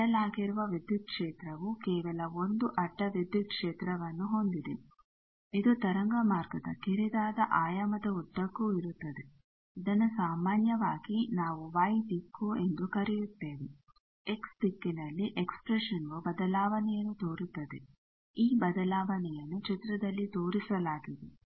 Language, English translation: Kannada, The transverse electric field it has only 1 transverse electric field it is along the narrow dimension of the waveguide that is generally we call y e direction the expression is given the variation is along x the variation is shown in the figure and it is a sinusoidal variation the wave is propagating in the positive Z direction